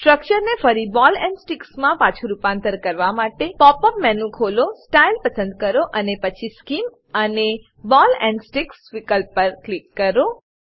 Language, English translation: Gujarati, To convert the structure back to Ball and stick display, Open the pop up menu, select Style, then Scheme and click on Ball and stick option